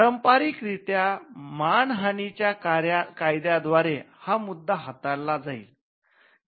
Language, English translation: Marathi, Traditionally, the relief would lie in the law of defamation